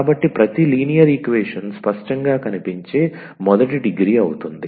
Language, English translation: Telugu, So, every linear equation is a first degree that is clear